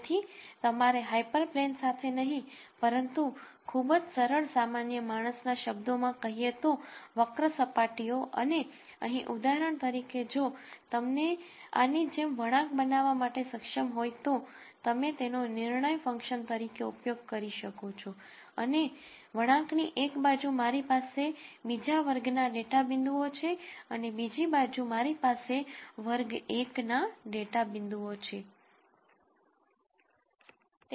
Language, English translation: Gujarati, So, you need to come up with not a hyper plane, but very simply in layman terms curved surfaces and here for example, if you were able to generate a curve like this then you could use that as a decision function and then say on one side of a curve I have data point belonging to class 2 and on the other side I have data points belonging to class 1